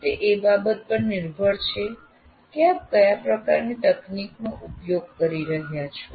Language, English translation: Gujarati, It depends on the kind of technology that you are using